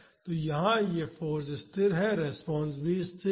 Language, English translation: Hindi, So, the force is constant here and the response is also constant